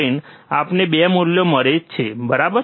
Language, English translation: Gujarati, 3 we get 2 values, right